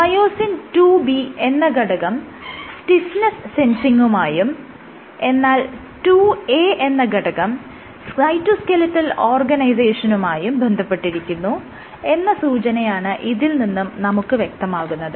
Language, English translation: Malayalam, So, suggesting that probably IIB is associated, so IIB is associated with stiffness sensing and IIA probably contributes to the cytoskeletal organization